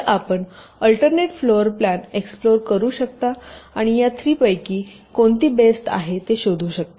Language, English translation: Marathi, so you can explore the alternate floor plans and find out which one of these three is the best